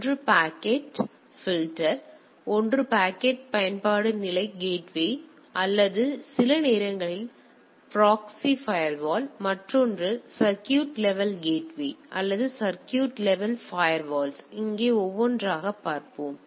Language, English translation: Tamil, One is packet filter one is application level gateway or sometimes also a proxy firewall, another is circuit level gateways or circuit level firewalls here we will see one by one